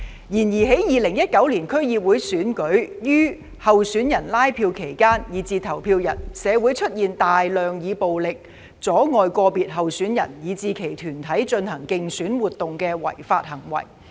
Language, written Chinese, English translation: Cantonese, 然而，在2019年區議會選舉於候選人拉票期間以至投票日，社會出現大量以暴力阻礙個別候選人以至其團隊進行競選活動的違法行為。, However during the canvassing period for candidates and even on the polling day of the 2019 District Council DC Election there were numerous illegal acts in society which involved the use of violence to obstruct individual candidates and their teams from conducting electioneering activities